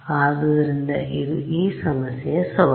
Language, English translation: Kannada, So, this is the challenge of this problem and